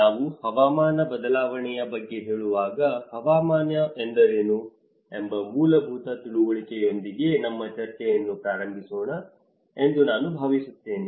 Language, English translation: Kannada, When we say about climate change, I think let us start our discussion with the basic understanding on of what is climate, what is weather